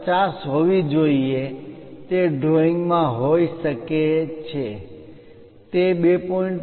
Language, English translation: Gujarati, 5 maybe in the drawing it might not be 2